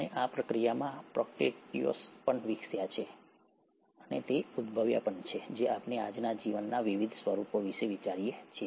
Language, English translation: Gujarati, And in the process, the Prokaryotes have also evolved and has given rise, is what we think as of today to different forms of life